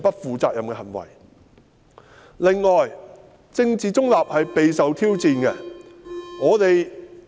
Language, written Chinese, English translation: Cantonese, 此外，公務員政治中立備受挑戰。, In addition the political neutrality of civil servants is being challenged